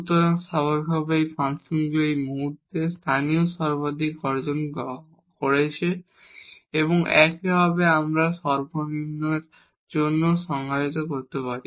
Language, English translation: Bengali, So, naturally the function has attained local maximum at this point and similarly we can define for the minimum also